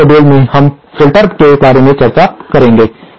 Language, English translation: Hindi, In the next module we shall be discussing about filters